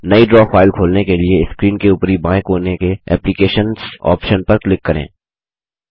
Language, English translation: Hindi, To open a new Draw file, click on the Applications option at the top left corner of the screen